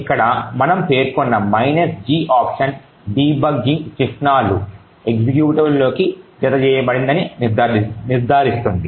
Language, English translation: Telugu, The minus G option that we specified over here ensures that debugging symbols get added into the executable